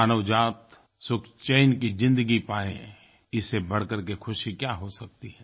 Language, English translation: Hindi, There can be no greater happiness than the humanity having a peaceful existence